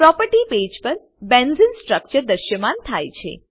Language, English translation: Gujarati, Benzene structure is displayed on the property page